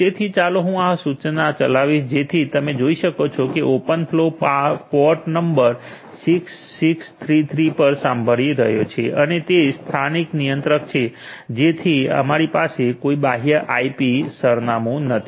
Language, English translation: Gujarati, So, let me run this command so, you can see the open flow is listening on port number 6633 and it is the local controller so that is why we do not have any external IP address